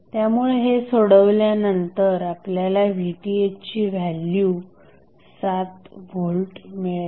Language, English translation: Marathi, So when you will simplify you will get the value of Vth as 7 volts